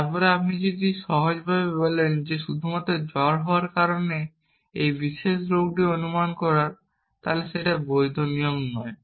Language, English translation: Bengali, Then, if you simply say that just because it is fever it is this particular disease not a valid rule of inference